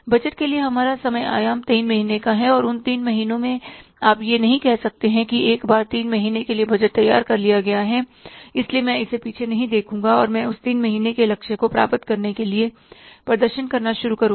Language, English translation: Hindi, Our time horizon is for the budgeting is three months and in that three months you cannot say that once I have prepared the budget for three months so I will not look back now and I will start performing